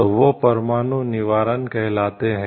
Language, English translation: Hindi, So, that is called nuclear deterrence